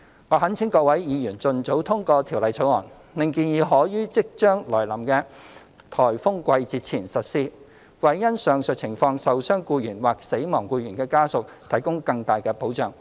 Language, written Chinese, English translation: Cantonese, 我懇請各位議員盡早通過《條例草案》，令建議可於即將來臨的颱風季節前實施，為因上述情況受傷僱員或死亡僱員的家屬提供更大的保障。, I implore Members to pass the Bill as soon as possible for the proposal to take effect before the approaching typhoon season so as to provide greater protection for injured employees and family members of employees who die of work injuries under the aforesaid situations